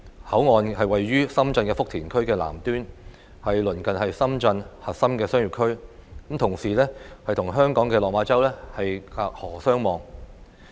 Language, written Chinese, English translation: Cantonese, 口岸座落於深圳福田區的南端，鄰近深圳核心商業區，同時與香港的落馬洲隔河相望。, It is located at the southern end of the Futian district in Shenzhen close to the central business district of Shenzhen and across the river from Lok Ma Chau in Hong Kong